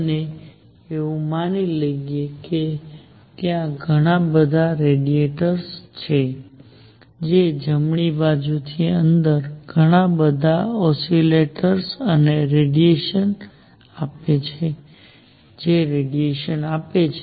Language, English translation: Gujarati, We are going to assume that there are lot of radiators, which give out lot of oscillators and radiators inside right, which give out radiation